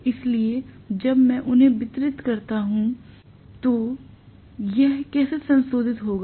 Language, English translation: Hindi, So when I distribute, how exactly this gets modified